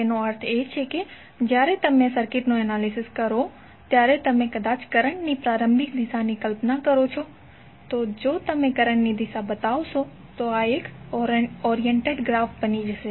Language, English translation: Gujarati, That means that you when you analysis the circuit you imagine a the initial direction of may be the current, so then if you show the direction of the current then this will become a oriented graph